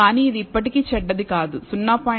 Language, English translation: Telugu, But it is still not bad 0